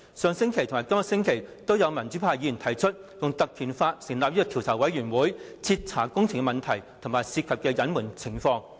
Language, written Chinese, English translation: Cantonese, 上星期和今個星期均有民主派議員提出議案，引用《立法會條例》成立專責委員會，以徹查工程問題和涉及的隱瞞情況。, In two consecutive weeks Members from the democratic camp have proposed to invoke the powers under the Legislative Council Ordinance for the appointment of a select committee to inquire into the projects as well as the suspected concealment of information